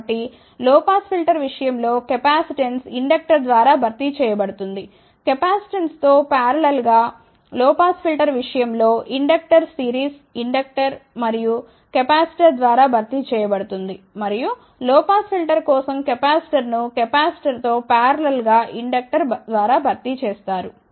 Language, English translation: Telugu, So, capacitance in case of low pass filter is replaced by inductor, in parallel with capacitance, inductor in case of low pass filter is replaced by series inductor and capacitor, and the capacitor for low pass filter is replaced by inductor in parallel with capacitance